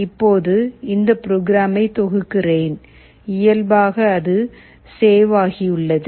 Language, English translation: Tamil, Now, let me compile this program, you save it by default